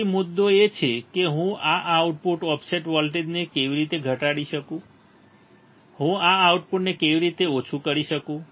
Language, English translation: Gujarati, So, the point is; how can I minimize this output offset voltage how can I minimize this output also right